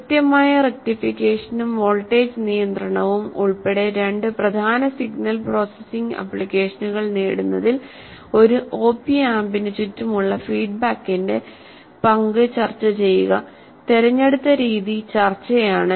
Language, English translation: Malayalam, So, discuss the role of the feedback around an appamp in achieving two important signal processing applications including precision rectification and voltage regulation and the mode shall produce discussion